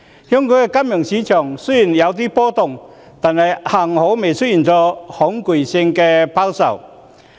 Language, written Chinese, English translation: Cantonese, 香港的金融市場雖然有點波動，幸好沒有出現恐懼性拋售。, Fortunately despite some fluctuations panic selling has not occurred in the financial market of Hong Kong